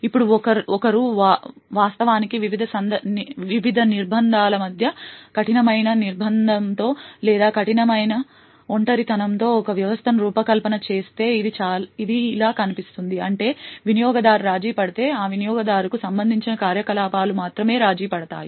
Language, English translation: Telugu, Now if one would actually design a system with strict confinement or strict isolation between the various entities it would look something like this, that is if a user gets compromised then only the activities corresponding to that user would get compromised